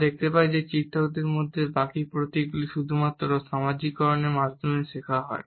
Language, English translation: Bengali, We find that the rest of the emblems in illustrators are learnt through socialization only